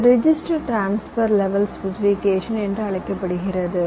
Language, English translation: Tamil, this is called register transfer level specification